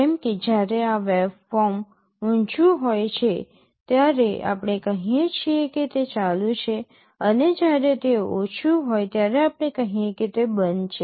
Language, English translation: Gujarati, Like when this waveform is high we say it is ON and when it is low we say it is OFF